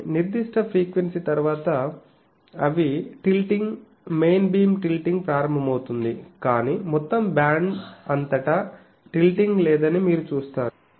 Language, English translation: Telugu, But, after certain frequency they start tilting, the main beam starts tilting, but this one you see that there is no tilting in the throughout the whole band there is no tilting